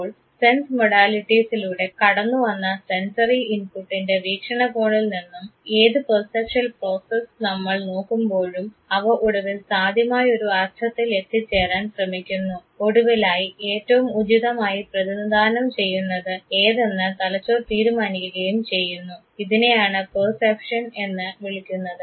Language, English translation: Malayalam, So, any perceptual process that we are looking at from the point of view of sensory input coming through sense modalities will finally, look for a possible meaning that would be considered as the most appropriate representation of what the brain is finally, decide for